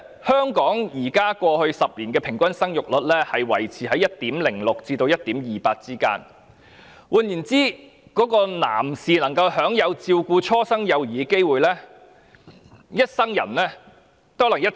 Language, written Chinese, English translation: Cantonese, 香港在過去10年的平均生育率維持於 1.06% 至 1.28%， 換言之，男士可以享有照顧初生幼兒的機會，其實一生人可能只有約1次。, The fertility rate of Hong Kong in the past decade remained in the range of 1.06 % to 1.28 % . In other words it is about once in a life time that a man can take care of the newborn